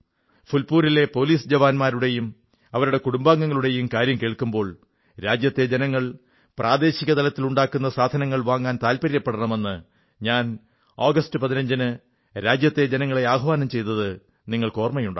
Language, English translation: Malayalam, Whenever I hear about the police personnel of Phulpur or their families, you will also recollect, that I had urged from the ramparts of Red Fort on the 15th of August, requesting the countrymen to buy local produce preferably